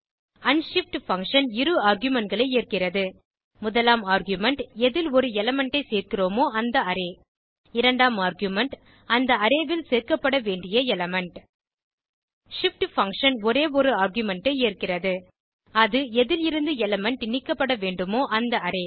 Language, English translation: Tamil, The unshift function takes 2 arguments 1st argument is the Array in which to add an element 2nd argument is the element to be added into the Array shift function takes only one argument This is the Array from which the element needs to be removed